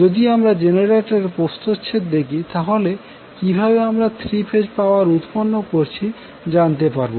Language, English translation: Bengali, So, if you see the cross section of the generator, how you generate the 3 phase power